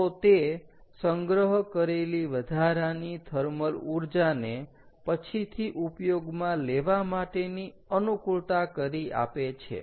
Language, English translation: Gujarati, so it allows excess thermal energy to be collected for later use